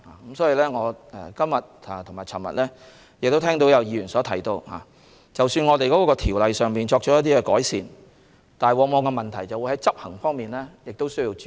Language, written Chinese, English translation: Cantonese, 我在今天和昨天均聽到議員提到，即使我們就條例作出改善，但在執行方面亦需注意。, I heard Members mention today as well as yesterday that the improvements made to the legislation notwithstanding we should be mindful of the aspect of enforcement